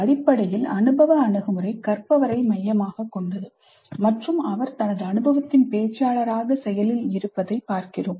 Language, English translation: Tamil, Basically the experience, experiential approach says that it is learner centric, learner as active negotiator of his experience